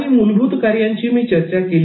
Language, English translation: Marathi, Some of the basic functions which I discussed were